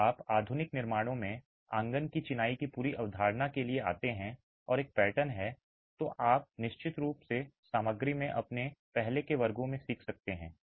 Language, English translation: Hindi, If you come to modern constructions the whole concept of coarsed masonry and having a pattern is something that you would have definitely learned in your earlier classes in materials